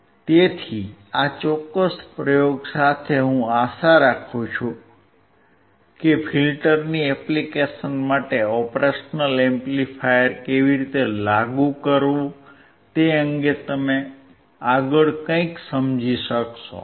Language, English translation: Gujarati, So, with this particular experiment, I hope that you understood something further regarding how to apply the operational amplifier for the application of a filter